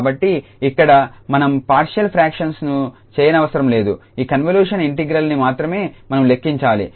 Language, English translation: Telugu, So, therefore here we do not have to do the partial fractions only we need to evaluate this convolution integral